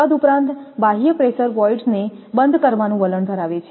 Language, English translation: Gujarati, Moreover, the external pressure tends to close the voids